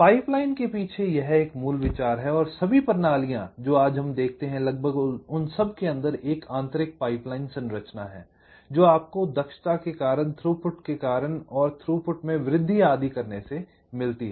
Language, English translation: Hindi, this is a basic idea behind pipelining and almost all systems that we see today as an internal pipeline structure, because of an efficiency considerations, because of throughput increase, increase in throughput that you get by doing that